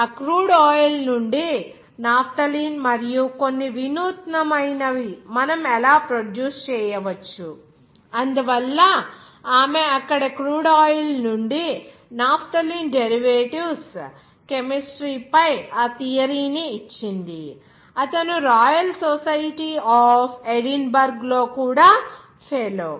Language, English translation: Telugu, From that crude oil as well as some innovative how we can be produced from the naphthalene, so she has given that theory on that chemistry of naphthalene derivations from the crude oils there, he was also fellow of the Royal Society of Edinburg